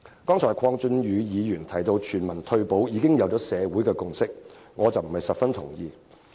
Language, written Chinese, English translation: Cantonese, 剛才鄺俊宇議員提到，社會對全民退保已有共識，我並不十分同意。, Mr KWONG Chun - yu has mentioned just now that social consensus on universal retirement protection is already there but I do not quite agree